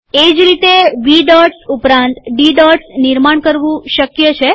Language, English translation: Gujarati, Similarly it is possible to create V dots as well as D dots